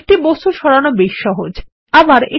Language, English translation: Bengali, Moving objects is simple, isnt it